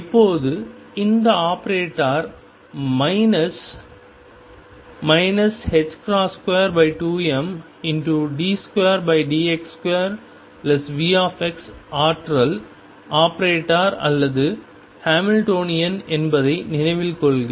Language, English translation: Tamil, Now remember that this operator minus h cross square over 2 m d 2 by d x square plus vx is the energy operator or the Hamiltonian